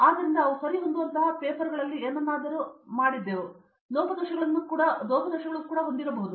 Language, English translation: Kannada, So, they have done something in the papers which may be correct and which may have like loopholes also